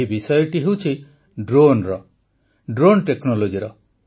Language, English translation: Odia, This topic is of Drones, of the Drone Technology